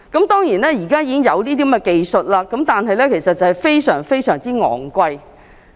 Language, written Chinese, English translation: Cantonese, 當然，現在已經有這個技術，但費用非常昂貴。, This medical technology is now available but of course it is very expensive